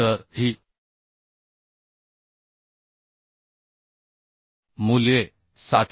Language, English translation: Marathi, 9 so these values are 714